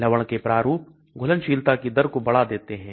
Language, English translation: Hindi, Salt forms increases dissolution rate